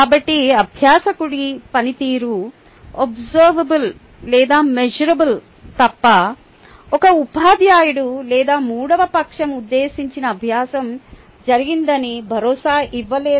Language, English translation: Telugu, so unless the the learners performance is observable or measurable, a teacher or a third party cannot assure that the intended learning is happen